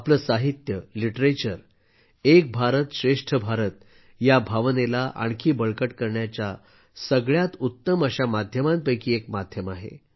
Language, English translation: Marathi, My family members, our literature is one of the best mediums to deepen the sentiment of the spirit of Ek Bharat Shreshtha Bharat